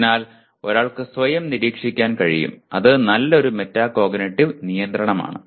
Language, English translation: Malayalam, So one is able to monitor one’s own self and that is a good metacognitive regulation